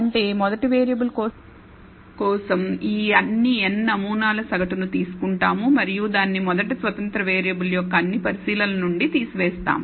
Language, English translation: Telugu, That means, we take the mean of all these n samples for the first variable and subtract it from each of the observations of the first independent variable